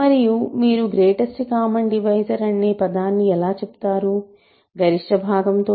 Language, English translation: Telugu, And how do you phrase the greatest common divisor, the greatest part